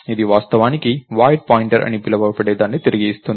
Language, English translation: Telugu, It it actually returns what is called a void pointer